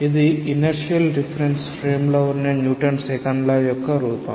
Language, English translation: Telugu, This is the form of the Newton s Second Law in an inertial reference frame